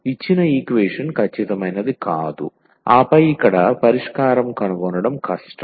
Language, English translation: Telugu, So, the given equation is not exact and then it is difficult to find the solution here